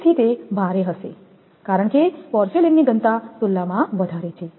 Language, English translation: Gujarati, So, it will be heavier because the density is higher compared to porcelain